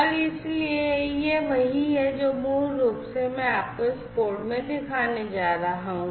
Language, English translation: Hindi, And so this is what basically is what I am going to show you I am going to show you the corresponding code as well